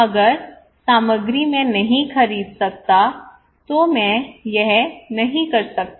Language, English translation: Hindi, If the materials I cannot buy I cannot do it